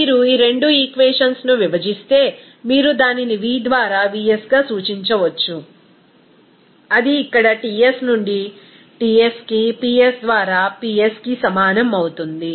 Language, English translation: Telugu, If you divide these two equations, you can simply represent it as v by vs that will be is equal to simply T by Ts into Ps by P here